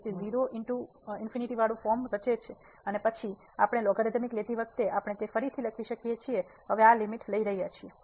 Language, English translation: Gujarati, So, 0 into infinity form and then we can rewrite it as while taking the logarithmic I am we taking the limit now